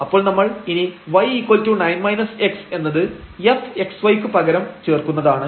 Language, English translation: Malayalam, So, we will substitute y is equal to 9 minus x into f x y